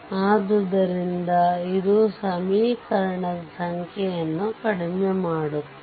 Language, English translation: Kannada, So, it reduces the number of equation